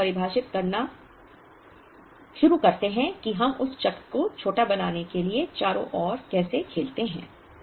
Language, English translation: Hindi, Then we start defining how we play around to make that cycle as small as it can be